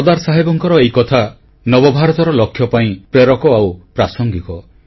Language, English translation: Odia, These lofty ideals of Sardar Sahab are relevant to and inspiring for our vision for a New India, even today